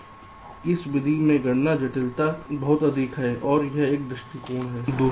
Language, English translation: Hindi, so the computation complexity is pretty high in this method